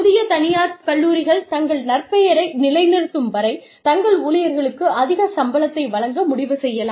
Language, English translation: Tamil, Newer private colleges may decide, to give their employees, a higher range of salary, till they establish a reputation